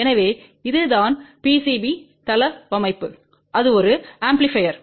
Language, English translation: Tamil, So, this is what is the PCB layout that is an amplifier